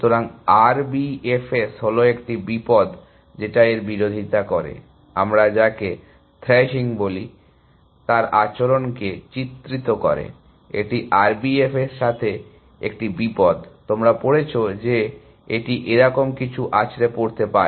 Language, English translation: Bengali, So, R B F S is a danger that it opposes it, depicts the behavior of what we call is thrashing, that is a danger with R B F S, you read that it may thrash something like this